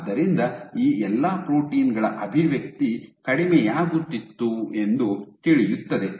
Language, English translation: Kannada, So, expression of all these proteins was going down